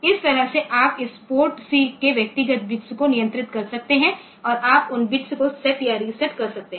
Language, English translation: Hindi, So, this way you can control this individual bits of this port C and you can make you can set or reset those bits